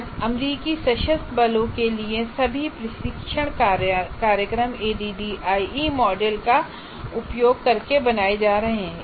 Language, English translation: Hindi, Today all the US Armed Forces, all training programs for them continue to be created using the ADI model